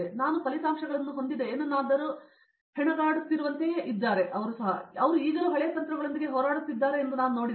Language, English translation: Kannada, So, I saw like they are still like struggling with something which I have the results and they are still struggling with the old techniques